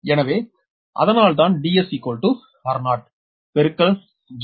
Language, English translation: Tamil, so that's why d s is equal to r 0 [FL]